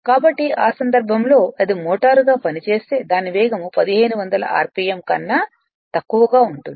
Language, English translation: Telugu, So, in that case its speed will be later will see if it acts as a motor its speed will be less than your 1,500 RMP right